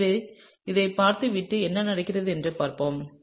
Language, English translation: Tamil, So, therefore, let’s go through this and see what happens, okay